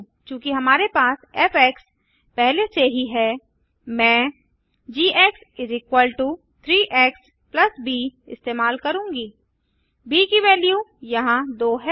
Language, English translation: Hindi, Since we already have f i will use g= 3 x + b the value of b here is 2